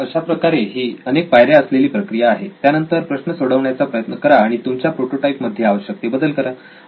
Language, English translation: Marathi, So this is a multi step process then solve that problem and modify that in your prototype